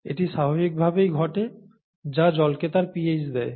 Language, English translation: Bengali, And this happens naturally, and this is what gives water its pH